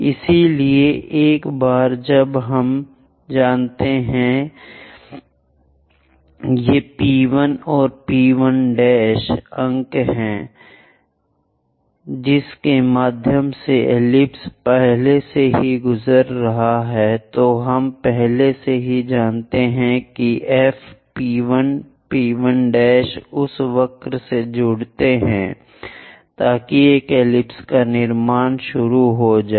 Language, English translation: Hindi, So, once we know these are the points P1 and P 1 prime through which ellipse is passing already V point we already know focus F P 1 P 1 prime join that curve so that an ellipse begin to constructed